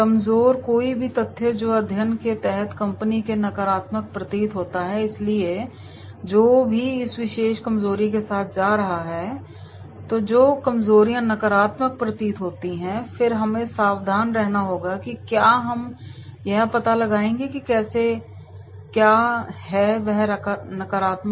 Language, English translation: Hindi, Weaknesses, any facts that appear to be negative for the company under study, so whatever is going with this particular weakness then those weaknesses that appears to be negative then we have to be careful that is we will find out that is how, what are the negatives there